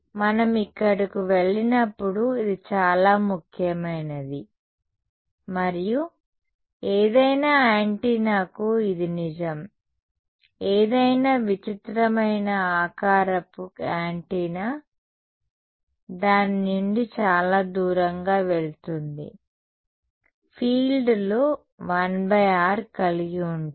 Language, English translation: Telugu, This will be important as we go here and this is true for any antenna any weird shaped antenna go far away from it the fields are going for fall of has 1 by r